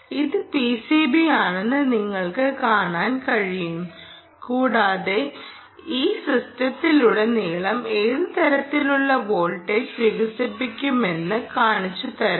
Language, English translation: Malayalam, you can see that this is the p c b and i should be able to show you what kind of voltage develops, ah, across this system